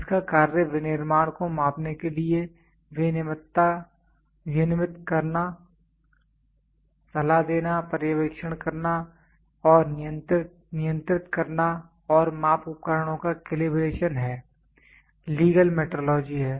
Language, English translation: Hindi, Its function is to regulates, advice, supervise and control the manufacturing and calibration of measuring instruments is legal metrology